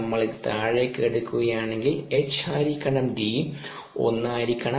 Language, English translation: Malayalam, if we take this down, the h by d should be one